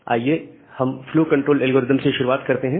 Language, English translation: Hindi, Well, starting with the flow control algorithm